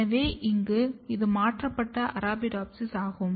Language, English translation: Tamil, So, here this is a transformed Arabidopsis